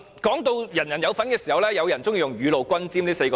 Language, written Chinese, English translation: Cantonese, 提到人人有份時，有人喜歡用"雨露均霑"來形容。, Some people liken the scenario where everyone is entitled to a share to rain falling on the just and the unjust